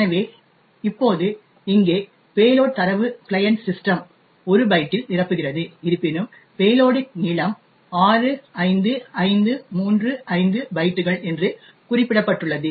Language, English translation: Tamil, So, now over here in the payload data the client system just fills in 1 byte even though it has specified that the length of the payload is 65535 bytes